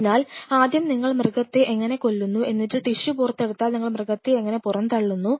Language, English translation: Malayalam, So, then how many you wanted to kill, then once you take out your desired tissue how you dispose the animal